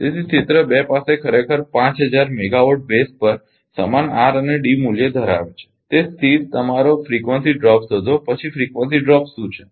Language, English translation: Gujarati, So, area 2 actually has same R and D value on 5000 megawatt base find the static your frequency drop then what is the frequency drop